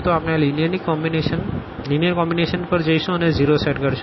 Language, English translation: Gujarati, So, we will consider this linear combination here and that will be set to 0